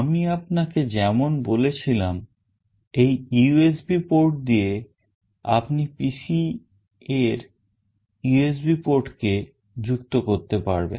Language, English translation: Bengali, As I have told you this is the USB port through which you can connect to the USB port of the PC